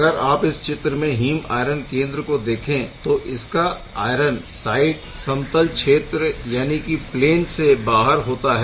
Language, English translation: Hindi, As you can see heme iron center is over there, this is the iron side well this is still outside the plane right